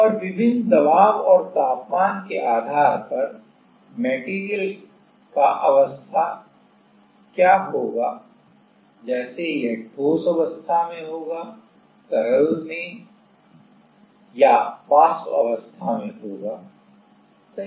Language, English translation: Hindi, And, depending on different pressure and temperature, what are the; what will be the phase of the material like, whether it will be in solid phase, liquid phase or vapor phase right